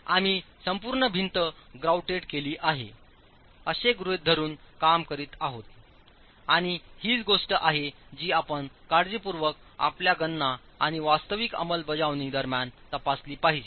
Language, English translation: Marathi, We are working with an assumption where the entire wall is grouted and that is again something that you should carefully check between your calculations and actual execution itself